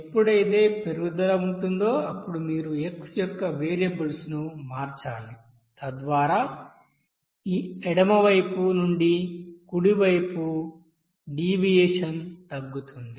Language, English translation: Telugu, Now whenever you will see that there will be increase then you have to change the variables x in such way that so that your you know deviation from this left hand side to right hand side will be reduced